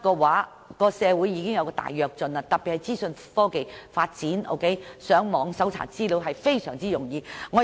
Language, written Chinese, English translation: Cantonese, 其實，社會迅速發展，特別是資訊科技發展迅速，上網搜尋資料也相當容易。, With rapid advancement in the society especially in terms of information technology information can be searched and obtained online